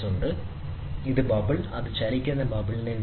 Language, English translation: Malayalam, So, this is a bubble, which moves bubble which moves